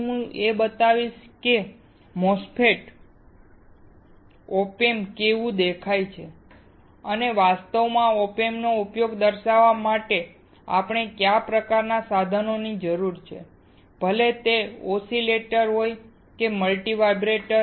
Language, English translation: Gujarati, I will also show you how a MOSFET, an op amp looks like, and what kind of equipment do we require to actually demonstrate the use of the op amp; whether it is an oscillator or a multi vibrator